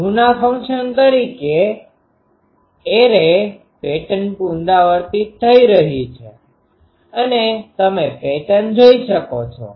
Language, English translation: Gujarati, As a function of u the array pattern repeats you can see the array pattern